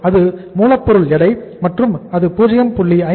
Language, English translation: Tamil, So weight at the raw material stage was 0